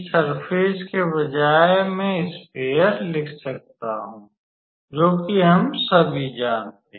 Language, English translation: Hindi, So, instead of surface I can write now sphere now that we all know